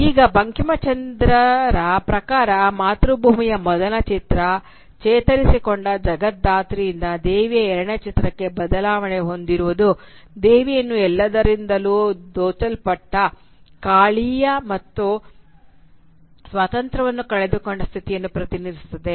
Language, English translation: Kannada, Now according to Bankimchandra the transformation of the Motherland from the first image, that of the resplendent Jagatdhatri, to the second image, that of Kali, who has been robbed of everything, was manifested by the lack of independence